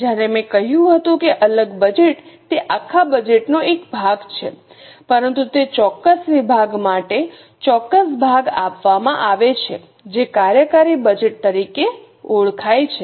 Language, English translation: Gujarati, When I said separate budget, it's a part of the whole budget but for that particular department a particular portion is given that is known as a functional budget